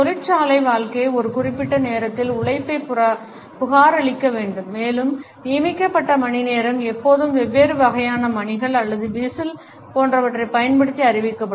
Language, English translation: Tamil, The factory life required that the labor has to report at a given time and the appointed hour was always announced using different types of bells or whistles etcetera